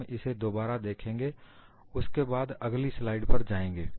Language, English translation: Hindi, We will again look it up, and then go to the next slide